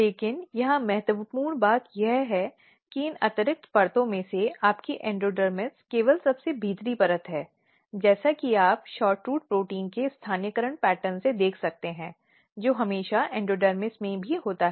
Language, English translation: Hindi, But important thing here is that in this extra layer out of these extra layers your endodermis is only the inner most layer as you can see from the localization pattern of SHORTROOT protein, which is also always in the endodermis